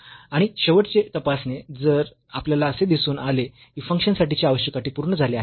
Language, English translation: Marathi, And the final check if we have observed that the function the necessary conditions are fulfilled